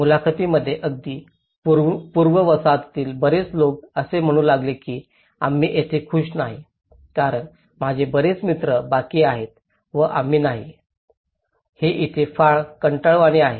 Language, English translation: Marathi, In the interviews, many of the people even from the pre colonial side they started saying we are not happy here because none much of my friends they are left and we are not, itÃs very boring here